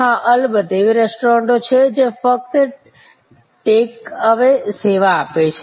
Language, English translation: Gujarati, Yes of course, there are restaurants which are take away service only